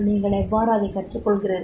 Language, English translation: Tamil, How do you learn